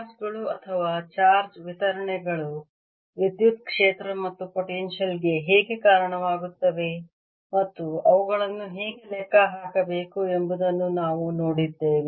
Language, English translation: Kannada, so far we have looked at how charges or charged distributions give rise to electric field and potential and how to calculate them